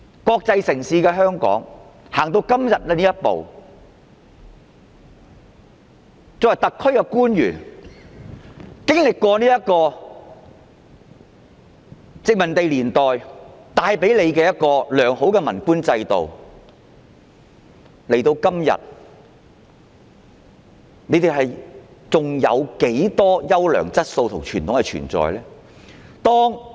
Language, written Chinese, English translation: Cantonese, 香港是一個國際城市，特區官員經歷過殖民地年代帶給他們的良好文官制度，到了今天，還剩下多少優良質素和傳統呢？, Hong Kong is an international city . The officials in SAR have experienced the sound civil official system brought to them in the colonial era . Today how many good qualities and conventions are left?